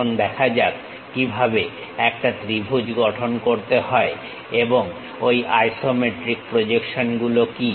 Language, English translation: Bengali, Now, let us look at how to construct a triangle and what are those isometric projections